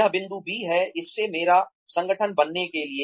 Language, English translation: Hindi, This is point B, to make my organization from this to this